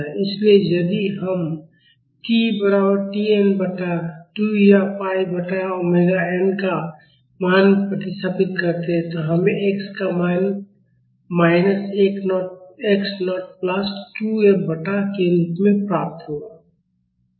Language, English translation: Hindi, So, if we substitute the value of t is equal to T n by 2 or pi by omega n, we would get the value of x as minus x naught plus 2 F by k